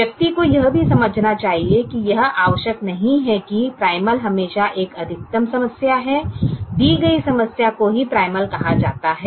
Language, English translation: Hindi, one should also understand that it is not necessary that the primal is always a maximization problem